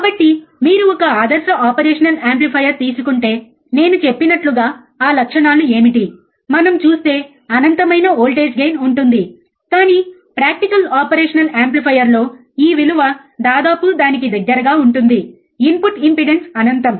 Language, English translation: Telugu, So, what are those characteristics like I said if you take a ideal operational amplifier, then you have infinite of voltage gain we will see, but practical operation amplifier it would be somewhere around this value, in input impedance is infinite